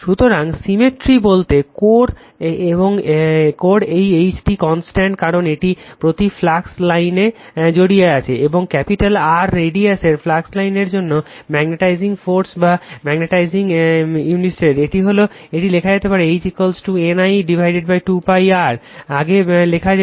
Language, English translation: Bengali, So, by symmetry, H in this core is constant, because it is a right round each flux line and for the mean flux your mean flux line of radius capital radius capital R, the magnetizing force or magnetic intensity right, it can be written as H is equal to N I upon 2 pi R